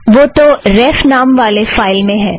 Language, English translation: Hindi, They are in the file ref